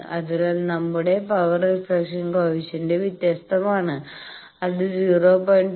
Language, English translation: Malayalam, So, our power reflection coefficient is different that will be 0